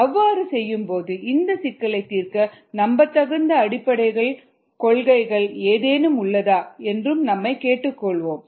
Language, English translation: Tamil, and while doing that, we will also ask: are there any basic principles that we can rely on to be able to solve this problem